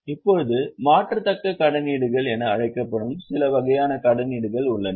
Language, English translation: Tamil, Now there are certain types of debentures which are known as convertible debentures